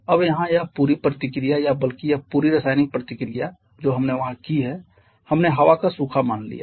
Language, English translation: Hindi, Now here this entire reaction or rather this entire chemical reaction that we have done there we are assume the air to be dry